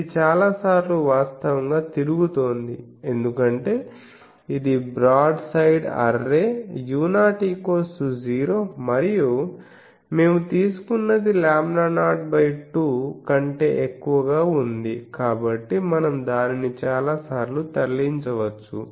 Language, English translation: Telugu, So, many times it is revolving actually, it is just because it is a case of a broad side array u 0 is 0 and we have taken d is greater than lambda 0 by 2 so, we can move it so many times